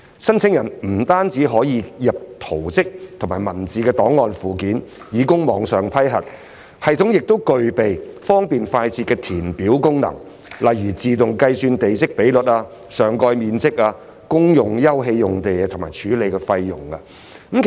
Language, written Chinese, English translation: Cantonese, 申請人不僅可透過系統遞交圖則及文字檔案，以供網上批核，有關系統亦具備方便快捷的計算功能，例如自動計算地積比率、上蓋面積、公用休憩用地及處理費用。, Not only can applicants attach drawings and text files for online approval but the e - portal also supports a fast and hassle - free computation process such as auto - computation of plot ratio site coverage communal open space and processing fees